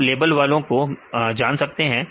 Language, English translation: Hindi, Right you can know the labeled ones